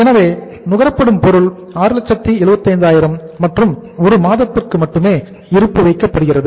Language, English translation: Tamil, So material consumed is that is 6,75,000 and is only kept as a stock for 1 month